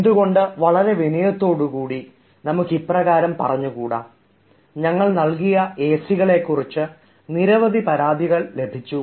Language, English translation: Malayalam, so why cant we write it in a very polite manner by saying: we have received several complaints about the acs supplied by us